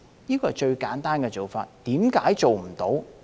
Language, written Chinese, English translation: Cantonese, 這是最簡單的做法，為何做不到？, This is the simplest way to do it so why can it not be done?